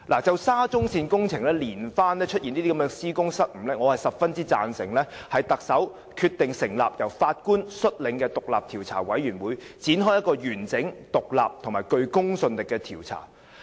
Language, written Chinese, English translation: Cantonese, 就沙中線工程連番出現施工失誤，我十分贊成特首決定成立由法官率領的獨立調查委員會，展開一個完整、獨立及具公信力的調查。, In response to the series of faulty construction works of the SCL project I fully endorse the decision of the Chief Executive to set up an independent judge - led commission of inquiry to conduct a comprehensive independent and credible investigation